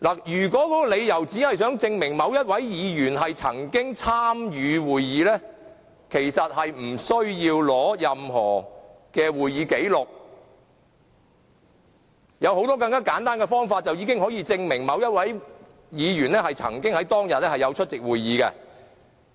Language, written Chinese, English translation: Cantonese, 如果只是想證明某位議員曾經參與會議，其實並不需要取得任何會議紀錄，有很多更簡單的方法已足以證明某位議員曾經在當天出席會議。, If one aims only at ascertaining the attendance of a certain Member it indeed is not necessary to obtain copies of proceedings and minutes . There are many simpler ways to sufficiently prove that a Member did attend the meeting on a particular day